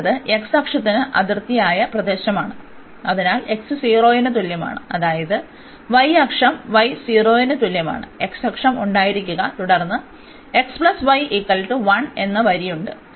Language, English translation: Malayalam, And R is the region bounded by the x axis, so x is equal to 0 that means, the y axis y is equal to 0 we have the x axis and then there is a line x plus y is equal to 1